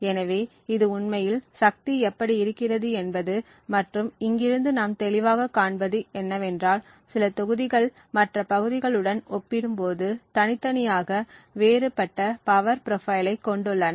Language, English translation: Tamil, So, this is something of what the power actually looks like and what we clearly see from here is that certain regions have a distinctively different power profile compared to other regions